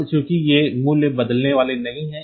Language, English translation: Hindi, Now, since these values are not going to change